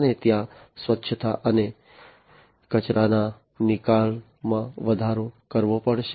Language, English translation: Gujarati, And there has to be increased cleanliness and waste disposal